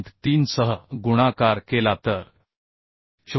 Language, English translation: Marathi, 5 so if we multiply with 0